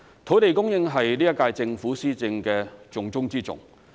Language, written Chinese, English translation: Cantonese, 土地供應是本屆政府施政的重中之重。, Land supply has been a top priority of the current - term Government